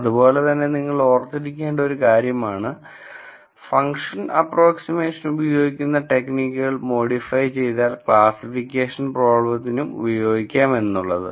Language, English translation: Malayalam, So, this is something that you should keep in mind, similarly techniques used for function approximation problems can also be modified and used for classification problems